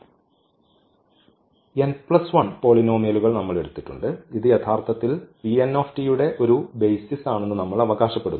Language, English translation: Malayalam, So, these n plus 1 polynomials rights these are n plus 1 polynomials, we have taken and we claim that this is a basis actually for P n t